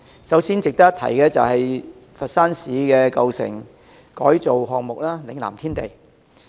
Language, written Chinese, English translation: Cantonese, 首先，值得一提的是佛山市的舊城改造項目——嶺南天地。, The first one is an old town revitalization project in Foshan City called Lingnan Tiandi